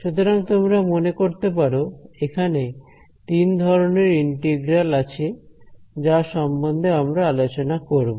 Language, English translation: Bengali, So, as you can imagine there are three kinds of integrals that we will look at